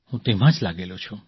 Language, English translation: Gujarati, I am still at it